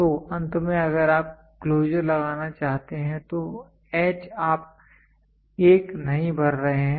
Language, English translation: Hindi, So, finally if you want to put the closure so the H you are not filled up 1